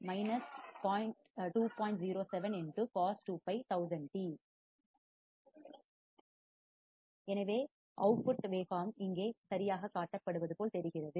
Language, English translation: Tamil, Thus the output waveforms looks like one shown here right